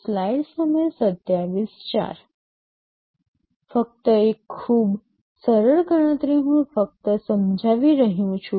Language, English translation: Gujarati, Just a very simple calculation I am just illustrating